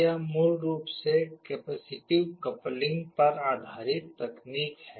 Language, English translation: Hindi, This is basically a technology based on capacitive coupling